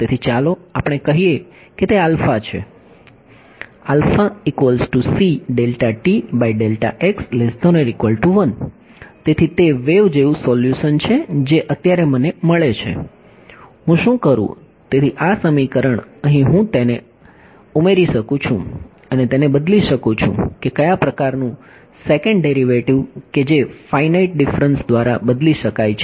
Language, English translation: Gujarati, So, that says wave like solution is what is obtained right now, what do I do; so, this equation over here, I can add it over here and replaced by what kind of a second derivative can be replaced by a finite differences right